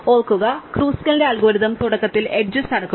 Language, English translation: Malayalam, Remember Kruskal's algorithm we initially sort the edges